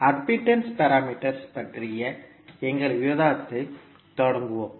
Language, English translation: Tamil, So, let us start our discussion about the admittance parameters